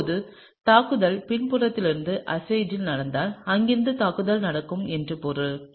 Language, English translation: Tamil, And now if the attack happens on azide from the backside which means that the attack will happen from here